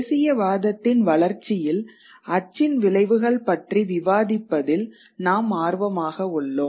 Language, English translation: Tamil, We have primarily been interested in discussing the effects of print on the development of nationalism